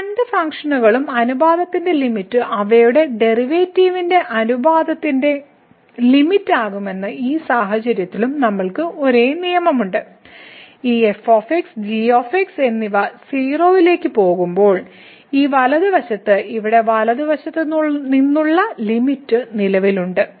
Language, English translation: Malayalam, And, in this case also we have the same rule that this limit of the ratio of these two functions will be the limit of the ratio of their derivatives; when this and goes to 0 provided this right that the limit at the right hand side here this exists